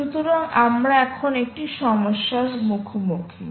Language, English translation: Bengali, so, ah, you are now confronted with a problem